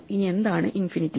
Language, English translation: Malayalam, Now what is infinity